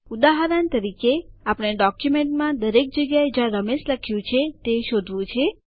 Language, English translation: Gujarati, For example we have to search for all the places where Ramesh is written in our document